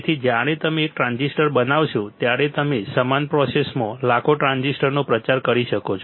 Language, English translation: Gujarati, So, when you fabricate one transistor, you can propagate millions of transistor in the same process right